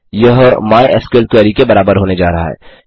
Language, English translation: Hindi, So query register is going to be equal to mysql query